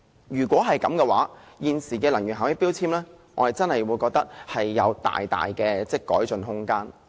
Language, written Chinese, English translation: Cantonese, 如此一來，現時的能源標籤將會有大大的改進空間。, That way there will be considerable room for improving energy labels in use currently